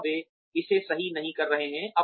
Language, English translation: Hindi, Are they not doing it right